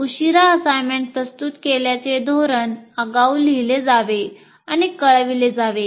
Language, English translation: Marathi, That late assignment submission policy should be written